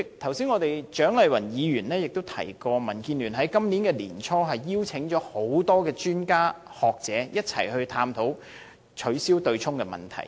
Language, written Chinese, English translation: Cantonese, 主席，蔣麗芸議員剛才提到，民建聯在今年年初邀請了多位專家和學者一起探討取消對沖機制的問題。, President Dr CHIANG Lai - wan mentioned just now that earlier this year the Democratic Alliance for the Betterment and Progress of Hong Kong DAB had invited a number of experts and scholars to engage in a discussion on abolition of the offsetting mechanism